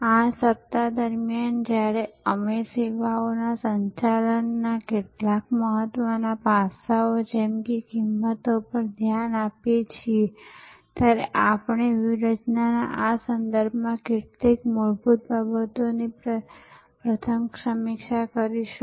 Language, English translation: Gujarati, During this week, while we look at some important aspects of services management like pricing, we will first review some fundamental considerations with respect to strategy